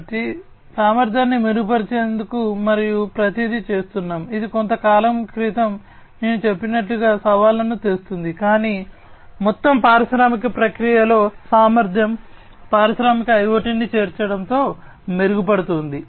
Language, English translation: Telugu, So, we are doing everything in order to improve upon the efficiency, of course that brings in challenges like the ones that I just mentioned a while back, but overall the efficiency in the industrial processes are going to be improved with the incorporation of industrial IoT